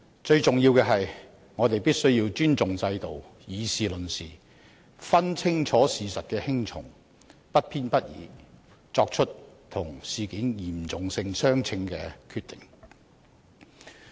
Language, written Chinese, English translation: Cantonese, 最重要的是，我們必須尊重制度，以事論事，分清事實輕重，不偏不倚地作出與事件嚴重性相稱的決定。, The most important point is we must respect the system deal with the issue in a matter - of - fact manner differentiate the important facts from the less important ones and make a decision commensurate with the seriousness of the incident with impartiality